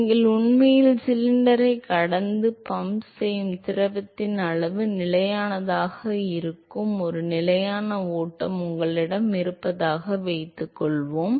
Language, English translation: Tamil, Supposing you have a steady flow where the volume of the fluid that you are actually pumping past the cylinder is constant